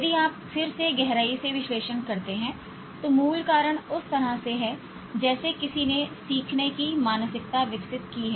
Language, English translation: Hindi, If we deeply analyze again the root cause is in the way one has developed a learning mindset